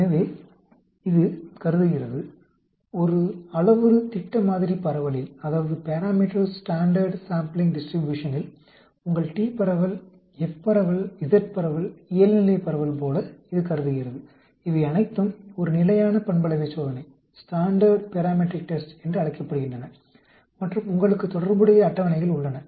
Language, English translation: Tamil, So, it assumes, in a parameter standard sampling distribution, like your t distribution, F distribution, Z distribution, normal distribution, all these are called a standard parametric test and you have corresponding tables